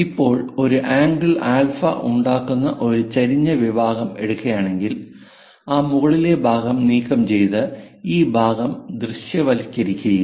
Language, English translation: Malayalam, Now if we are taking an inclined section making an angle alpha, remove this top portion, remove it and visualize this part